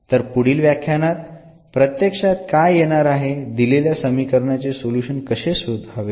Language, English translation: Marathi, So, what will be actually coming now in the future lectures that how to find the solution of given differential equation